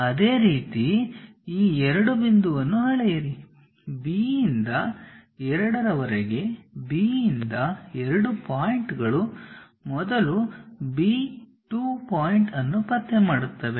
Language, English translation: Kannada, Similarly, measure this 2 point from B to 2, whatever B to 2 point first locate B 2 point